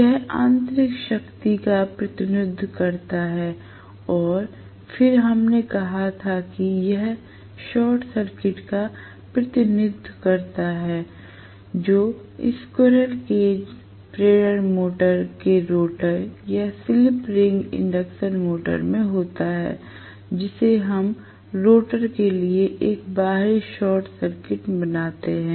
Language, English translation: Hindi, That represented the mechanical power and then we said this represents the short circuit that is there in the rotor of the cage induction motor or in the slip ring induction motor, which we create a short circuit external to the rotor right